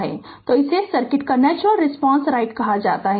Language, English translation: Hindi, So, this is called the natural response right of the circuit